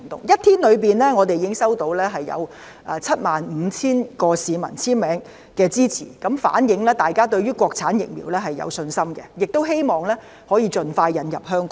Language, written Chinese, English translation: Cantonese, 一天之內，我們已經收到75000名市民簽名支持，反映大家對於國產疫苗有信心，亦希望可以盡快引入香港。, Within one day we collected the signatures of 75 000 supportive citizens showing that people have confidence in Mainland - manufactured vaccines and hope that they can be introduced to Hong Kong as soon as possible